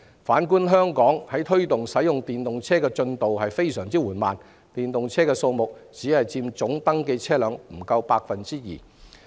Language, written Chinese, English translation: Cantonese, 反觀香港，我們在推動使用電動車方面的進度非常緩慢，電動車的數目只佔登記車輛總數不足 2%。, Looking back at Hong Kong we have made very slow progress in promoting the use of electric vehicles . They just account for less than 2 % of the total number of registered vehicles